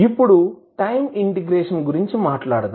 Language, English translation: Telugu, Now let’ us talk about the time integration